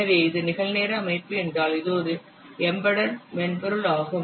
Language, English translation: Tamil, So, if it is a real time system means this an embedded software